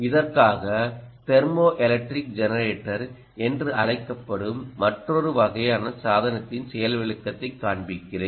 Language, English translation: Tamil, for this, let me show you ah demonstration of a another kind of device, which essentially is called the thermoelectric generator